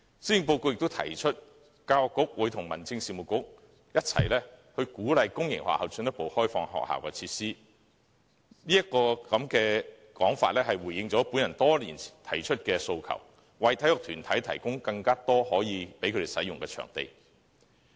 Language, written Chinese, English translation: Cantonese, 施政報告亦提出，教育局會與民政事務局一起鼓勵公營學校進一步開放學校設施，這說法回應了我提出多年的訴求，為體育團體提供更多可使用的場地。, It is also proposed in the Policy Address that the Education Bureau and the Home Affairs Bureau will encourage public sector schools to further open up their facilities . This proposal is indeed a response to the demand made by me over the years to provide sports bodies with more usable venues